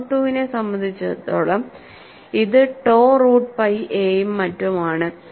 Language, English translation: Malayalam, For mode 2 it is tau root pi A and so on